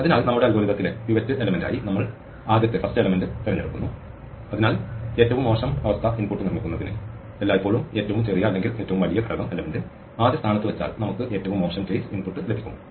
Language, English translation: Malayalam, So, we choose the first element as the pivot in our algorithm and so in order to construct the worst case input, if we always put the smallest or the largest element at the first position we get a worst case input